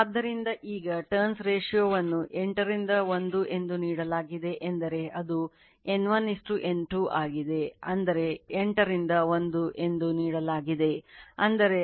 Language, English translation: Kannada, So, now turns ratio is given 8 is to 1 means it is N1 is to N2 I mean whenever it is given that 8 is to 1; that means, it is N1 is to N2 = 8 is to 1